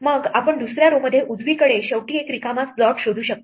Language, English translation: Marathi, Then we can find an empty slot on the second row right at the end